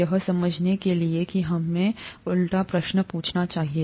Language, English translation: Hindi, To understand that let us ask the reverse question